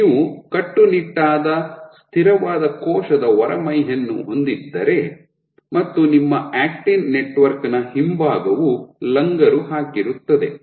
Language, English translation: Kannada, So, this if you have a rigid immovable wall and the backside of your actin network is anchored